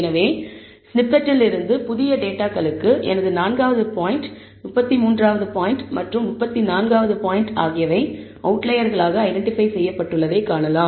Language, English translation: Tamil, So, from the snippet, we can see that for the new data, I have my 4th point, 33rd point and 34th point being, are being identified as outliers